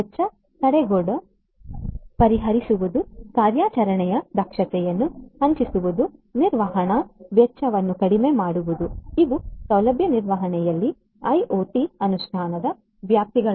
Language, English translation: Kannada, Addressing the cost barrier increasing the operating efficiency, reducing maintenance cost, these are the scopes of IoT implementation in facility management